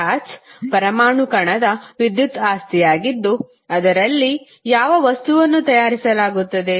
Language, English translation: Kannada, Charge is an electrical property of atomic particle of which matter consists